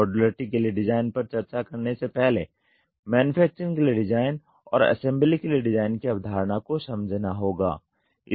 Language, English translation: Hindi, Before discussing design for modularity the concept of design for manufacturing and design for assembly has to be understood